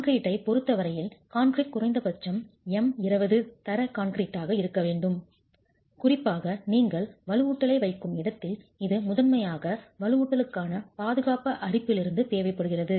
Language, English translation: Tamil, As far as concrete is concerned, the concrete shall at least be m20 grade concrete and this is particularly where you are placing reinforcement and this comes primarily from the durability requirements that protection to the reinforcement is required from corrosion